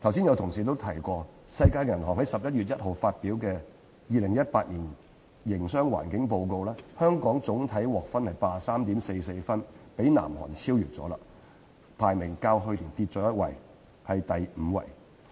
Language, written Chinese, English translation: Cantonese, 有同事剛已提及，世界銀行在11月1日發表的《2018年營商環境報告》，香港總體獲得 83.44 分，已被南韓超越，排名較去年下跌一級，至全球第五位。, As indicated by a colleague of mine just now according to the Doing Business 2018 Report released by the World Bank on 1 November Hong Kong with an overall score of 83.44 was already overtaken by South Korea and dropped by one place over last year to the fifth place